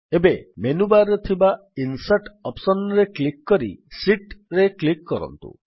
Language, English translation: Odia, Now click on the Insert option in the menu bar then click on Sheet